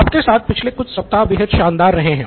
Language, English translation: Hindi, It’s been a fantastic last few weeks with you